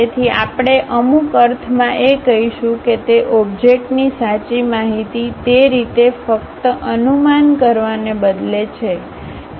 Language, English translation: Gujarati, So, we will be having in some sense what is that true information of that object rather than just projected in that way